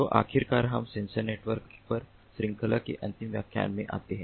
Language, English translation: Hindi, so finally, we come to the last lecture of the series on sensor networks